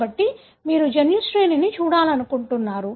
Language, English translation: Telugu, So, you want to look at the gene sequence